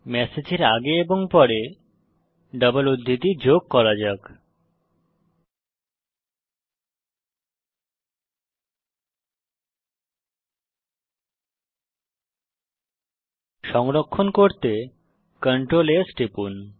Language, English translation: Bengali, Let us add double quotes before and after the message, Ctrl s to Save